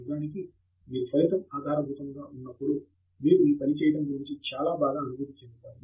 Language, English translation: Telugu, And actually, when you are result oriented, you will also feel much better about doing your work